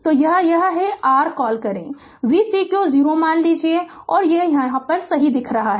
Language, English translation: Hindi, So, this is that your what you call v cq 0 suppose if you look like this right